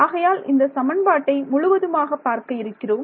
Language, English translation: Tamil, What all do you need to know from this equation